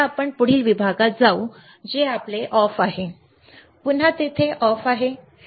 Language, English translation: Marathi, Now let us go to the next section, which is your what is this off, again it is off here one off is in the same